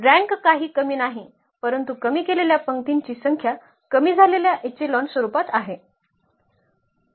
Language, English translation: Marathi, The rank is nothing but the number of pivots in a reduced row reduced echelon form